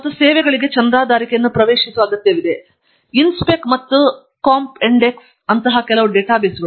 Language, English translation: Kannada, And, one needs to have a subscription for these services to have access INSPEC and COMPENDEX are some such databases